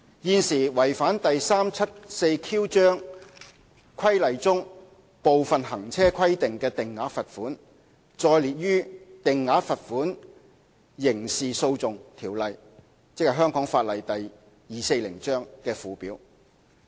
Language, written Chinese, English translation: Cantonese, 現時違反第 374Q 章規例中部分行車規定的定額罰款，載列於《定額罰款條例》的附表。, At present the fixed penalties for contravention of some of the driving requirements in Cap . 374Q are set out in the Schedule to the Fixed Penalty Ordinance Cap . 240